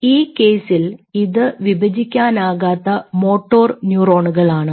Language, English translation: Malayalam, in this case it is a motor neuron which did not divide